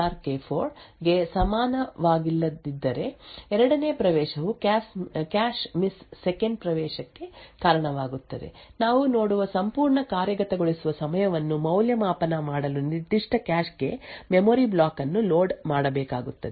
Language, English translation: Kannada, On the other hand if P0 XOR K0 is not equal to P4 XOR K4 then the second access would also result in a cache miss second access would also require a memory block to be loaded into that particular cache, to evaluate the entire execution time we see that we either get one cache miss and one cache hit or two cache misses